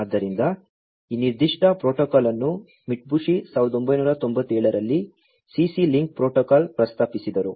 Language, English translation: Kannada, So, this particular protocol was proposed by Mitsubishi in 1997, the CC link protocol